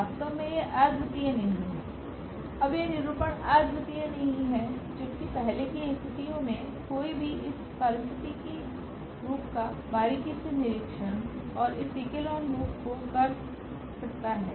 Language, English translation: Hindi, In fact, this it is not unique now this representation is not unique while in the earlier cases one can closely observe and doing this echelon form